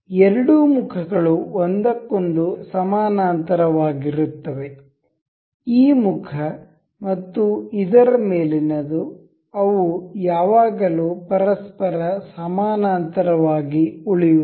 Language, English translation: Kannada, The two phases are parallel to each other, this phase and the top one of this, they will always remain parallel to each other